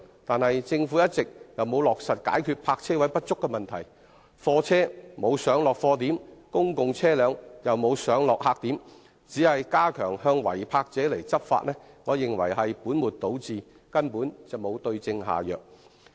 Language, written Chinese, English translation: Cantonese, 可是，政府一直沒有落實解決泊車位不足的問題，貨車沒有上落貨點，公共車輛也沒有上落客點，單純加強向違泊者執法，我認為是本末倒置的，根本沒有對症下藥。, However instead of trying to address the shortage of parking spaces the lack of places for goods vehicles to load and unload goods and for public vehicles to pick up and drop off passengers the Government has simply stepped up law enforcement against drivers who park illegally . The Government has put the cart before the horse and failed to prescribe the right remedy for the problem